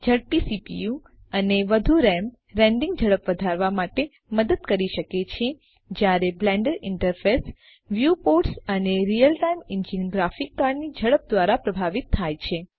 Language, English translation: Gujarati, A faster CPU and more RAM can help to increase rendering speed, while the speed of the Blender interface, viewports and real time engine is influenced by the speed of the graphics card